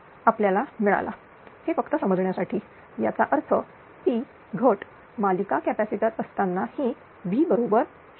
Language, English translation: Marathi, 0 this is just an understanding; that means, Ploss with series capacitor will be it is V is equal to 0